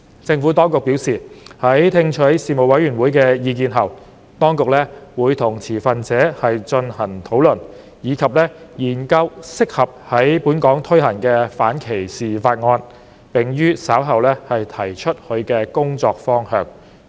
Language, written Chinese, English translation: Cantonese, 政府當局表示，在聽取事務委員會的意見後，當局會與持份者進行討論，以及研究適合在本港推行的反歧視方案，並於稍後提出其工作方向。, The Administration advised that after receiving the Panels views the authorities would hold discussions with stakeholders examine those anti - discrimination proposals that were suitable for implementation in Hong Kong and put forth a working direction later on